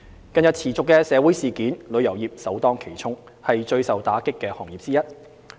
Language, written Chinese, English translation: Cantonese, 近日持續的社會事件，旅遊業首當其衝，是最受打擊的行業之一。, The industry is one of the sectors that is hard hit by the continuous social events recently